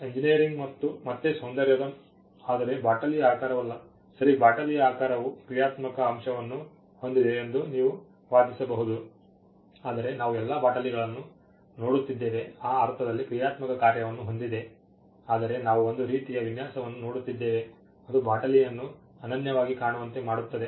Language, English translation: Kannada, A engineering again esthetic, but not shape of a bottle for instance ok, you may argue that the shape of the bottle has a functional element, but we are looking at all bottles have functional function in that sense, but we are looking at some kind of a design which makes a bottle look unique